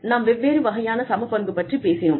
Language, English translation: Tamil, So, we talked about, different kinds of equity